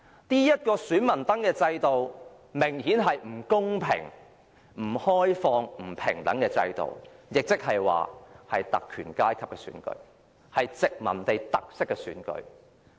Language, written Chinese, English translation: Cantonese, 這個選民登記制度明顯是一個不公平、不開放、不平等的，所進行的也是特權階級的選舉，是富殖民地特色的選舉。, This voter registration system was obviously unfair restrictive and unequal; elections were exclusive to the privileged classes and very colonial in color